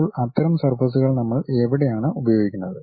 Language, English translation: Malayalam, Now, where do we use such kind of surfaces